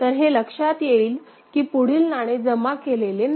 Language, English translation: Marathi, So, it will find that no further coin has been deposited